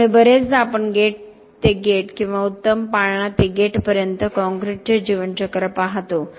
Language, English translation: Marathi, So very often we look at the lifecycle of concrete from gate to gate or better cradle to gate